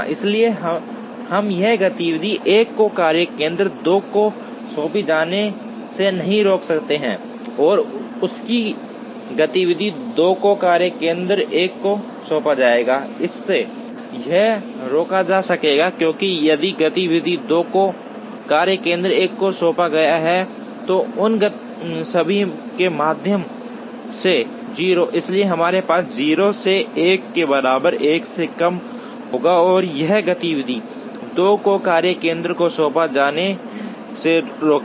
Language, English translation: Hindi, So, we cannot this would prevent activity 1 from being assigned to workstation 2 and it will it will have activity 2 assigned to workstation 1, it will prevent that, because if activity 2 is assigned to workstation 1, through this all of these will be 0